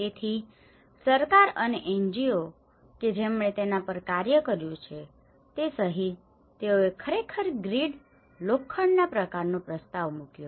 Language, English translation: Gujarati, So, including the government and the NGOs who have worked on it, they actually proposed a kind of grid iron patterns